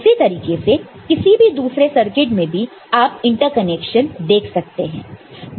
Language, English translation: Hindi, The same way for any other circuit you can see there is a inter connection